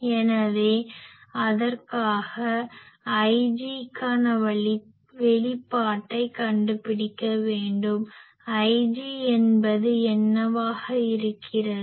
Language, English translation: Tamil, So, for that we will have to find out the expression for I g so, we now that what will be I g